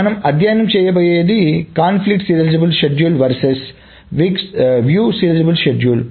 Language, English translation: Telugu, So, what we are going to study is, next is conflict serializability, serializable, let us say a conflict serializable schedule versus view serializable schedule